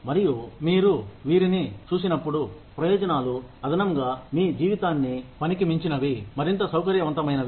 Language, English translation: Telugu, And, when you look at this, benefits are additionally things, that make your life outside of work, more comfortable